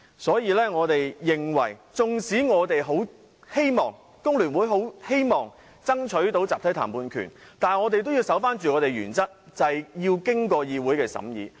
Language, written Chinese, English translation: Cantonese, 所以，縱使工聯會十分希望爭取集體談判權，但我們也要堅守原則，便是這些事項必須經過議會審議。, Hence even though FTU is anxious to strive for the collective bargaining right it has to adhere strictly to the principle ie . such issues need to be scrutinized by this Council